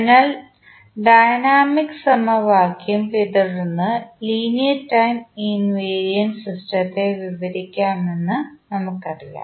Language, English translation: Malayalam, So, we know that the linear time invariant system can be described by following the dynamic equation